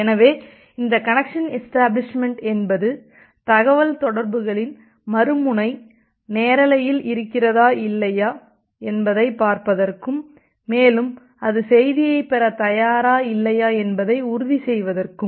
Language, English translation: Tamil, So this connection establishment is to see that whether the other end of the communication is live or not whether that is ready to receive the message or not